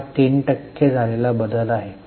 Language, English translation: Marathi, It's a 3% change